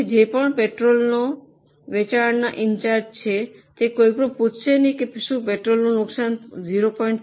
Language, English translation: Gujarati, So, whoever is in charge of sale of petrol, nobody will ask if the loss of petrol is limited to 0